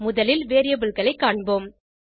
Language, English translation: Tamil, First lets look at variables